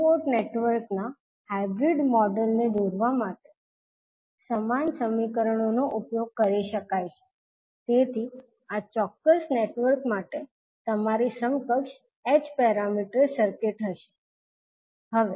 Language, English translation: Gujarati, So the same equations you can utilize to draw the hybrid model of a two port network, so this will be your equivalent h parameter circuit for a particular network